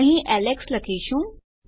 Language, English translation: Gujarati, So, Alex here